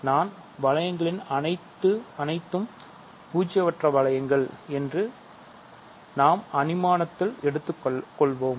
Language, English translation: Tamil, So, we will assume our rings are nonzero